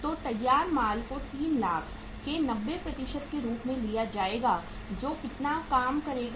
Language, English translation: Hindi, So finished goods will be taken as 90% of 3 lakhs that will work out as how much